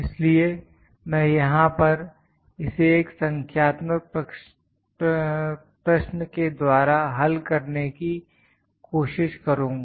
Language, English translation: Hindi, So, I will try to solve this using a numerical using a problem here